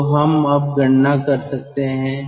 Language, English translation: Hindi, now we can use this chart